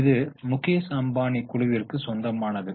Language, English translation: Tamil, It belongs to Mukeshambani Group